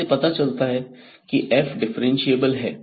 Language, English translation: Hindi, So, this implies that f is differentiable